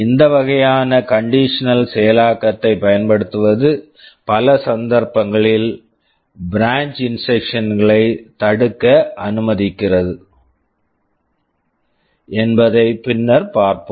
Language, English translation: Tamil, We shall see later that using this kind of condition execution allows us to prevent branch instructions in many cases